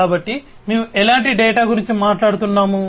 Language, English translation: Telugu, So, what kind of data we are talking about